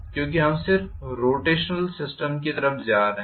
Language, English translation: Hindi, Because we are just migrating to the rotational system directly